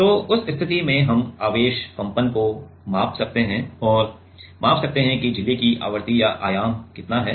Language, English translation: Hindi, So, in that case we can measure the charge oscillation and can measure the how much frequency or amplitude is the membrane having